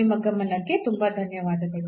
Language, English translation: Kannada, So, thank you very much for your attention